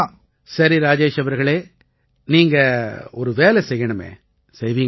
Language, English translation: Tamil, But see Rajesh ji, you do one thing for us, will you